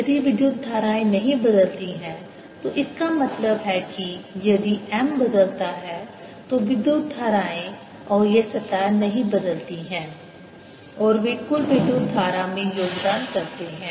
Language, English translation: Hindi, if the currents don't change, that means if m varies, then the currents and these surfaces do not change and they contribute to the bulk current